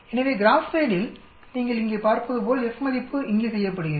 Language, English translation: Tamil, So GraphPad as you can see here F value is done here